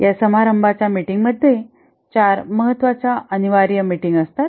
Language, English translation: Marathi, The ceremonies, these are the meeting, there are four important meetings that are mandated here